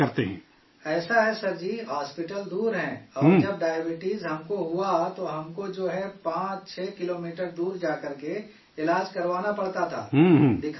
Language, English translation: Urdu, It is like this Sir, hospitals are far away and when I got diabetes, I had to travel 56 kms away to get treatment done…to consult on it